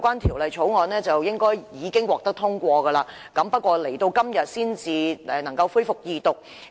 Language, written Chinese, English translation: Cantonese, 《條例草案》本應已獲得通過，但最終要到今天才能恢復二讀辯論。, Originally the Bill should have been passed but in the end the Second Reading debate on it could not be resumed until today